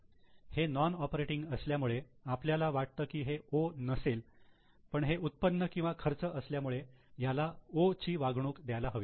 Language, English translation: Marathi, Since it is non operating, many times we feel that it may not be O but since it is income or expense it should be treated as O